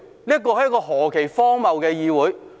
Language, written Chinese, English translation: Cantonese, 這是何其荒謬的議會。, What an absurd legislature!